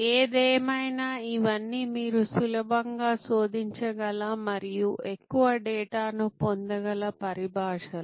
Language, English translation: Telugu, Anyway these are all terminologies that you can easily search and get much more data on